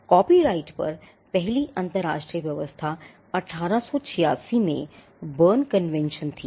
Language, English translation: Hindi, The first international arrangement on copyright was the Berne Convention in 1886